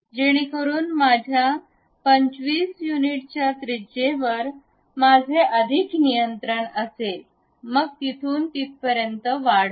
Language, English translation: Marathi, So that I will have a better control on radius 25 units of length, I will draw